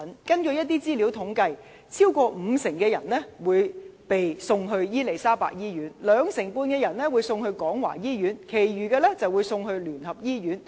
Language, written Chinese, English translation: Cantonese, 根據一些統計資料，超過五成患者會被送往伊利沙伯醫院，兩成半患者會被送往廣華醫院，其餘則被送往基督教聯合醫院。, According to some statistics over 50 % of patients would be sent to the Queen Elizabeth Hospital 25 % to the Kwong Wah Hospital and the remaining to the United Christian Hospital